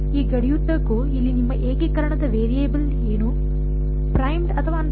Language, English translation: Kannada, Along this boundary, so what is your variable of integration over here primed or unprimed